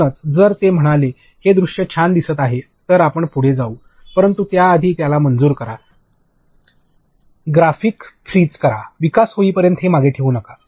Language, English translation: Marathi, So, what if they say this visual looks cool we will proceed, but get it approved freeze the graphics; do not keep it till development